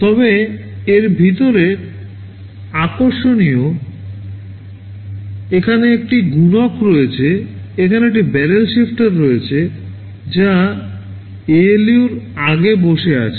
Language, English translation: Bengali, But inside this is interesting, there is a multiplier, there is a barrel shifter which that are sitting before the ALU